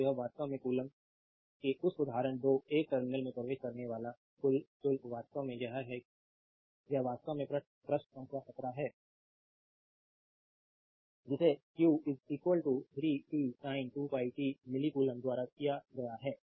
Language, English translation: Hindi, So, this is actually coulomb now example 2; the total charge entering a terminal is this is actually this is actually page number 17 given by q is equal to say 3 t sin 2 pi t say milli coulomb right